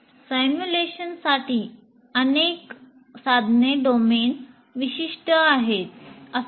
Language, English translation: Marathi, And many of these tools are domain specific